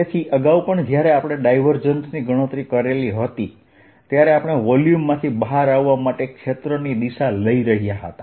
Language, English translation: Gujarati, so, ah, earlier also, when we were calculating divergence, we were taking area direction to be coming out of the volume